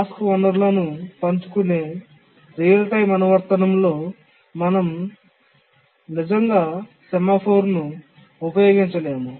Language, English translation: Telugu, But in a real timetime application when the task share resources, we can't really use a semaphore